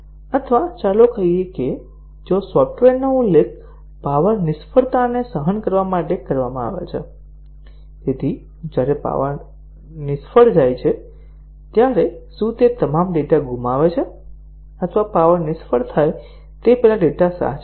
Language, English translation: Gujarati, Or, let us say if the software is mentioned to tolerate power failure, so when power failure occurs, does it lose all the data or does it save the data before the power failure occurs